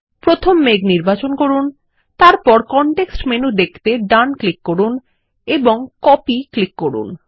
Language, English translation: Bengali, First select the cloud, then right click to view the context menu and click Copy